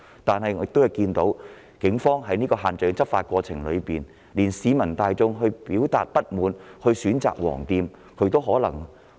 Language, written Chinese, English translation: Cantonese, 但是，警方在限聚令的執法過程中，竟然連市民大眾表達不滿選擇光顧"黃店"也不放過。, However during the enforcement of the social gathering restrictions the Police have gone so far as to make things difficult for those who have chosen to express their dissatisfaction by patronizing the yellow shops